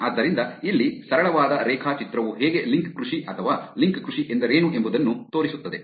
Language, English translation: Kannada, So, here is a simple diagram to show that what, how link farming or what link farming is